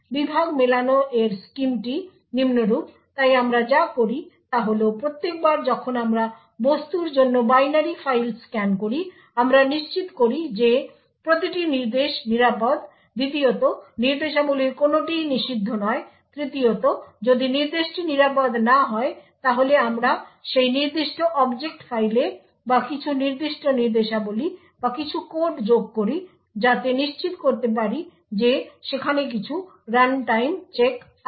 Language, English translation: Bengali, The scheme for Segment Matching is as follows so what we do is every time we scan the binary file for the object we ensure that every instruction is safe secondly none of the instructions are prohibited third if the instruction is unsafe then we add some code into that particular object file or we add some certain instructions into that object file, so as to ensure that there is some runtime checks